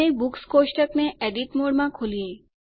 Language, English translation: Gujarati, And open the Books table in Edit mode